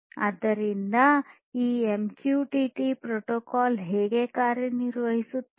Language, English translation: Kannada, So, this is how this MQTT protocol works